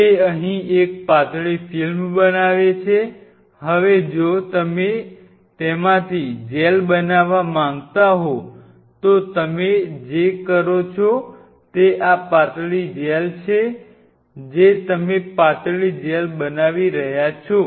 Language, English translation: Gujarati, It forms a thin film out here, now you wanted to make a gel out of it very simple if you want to make a gel out of it what you do is this thin gel you are making a thin gel